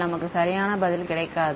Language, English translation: Tamil, So, we will not get the right answer